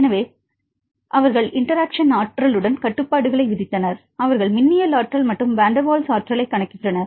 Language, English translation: Tamil, So, they imposed constraints with the interactions energy, they computed the electrostatic energy and van der Waals energy, how to get this electrostatic energy